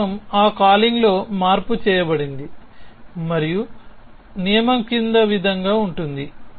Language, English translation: Telugu, So, this rule is call in that calling modified and the rule is as follows